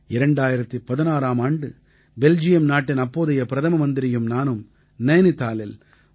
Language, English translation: Tamil, In 2016, the then Prime Minister of Belgium and I, had inaugurated the 3